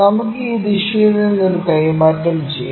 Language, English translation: Malayalam, Let us transfer a from this direction